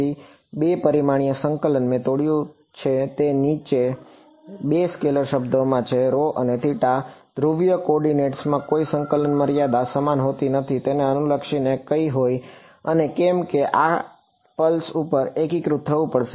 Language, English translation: Gujarati, So, 2 dimensional integration I have broken it down into 2 scalar terms rho and theta in polar coordinates no the limits of integration has a same regardless of which pulse of and because have to integrate over the whole pulse